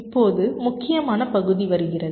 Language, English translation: Tamil, ok, fine, now comes the important part